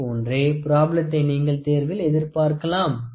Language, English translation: Tamil, So, like this you can expect problems in the examination